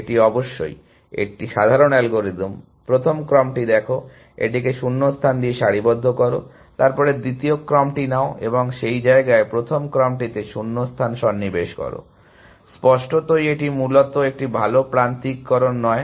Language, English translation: Bengali, That is of course, a simple algorithm, take the first sequence, align it with gaps, then take the second sequence and insert gaps in the first sequence in that place; obviously, that is not a good alignment essentially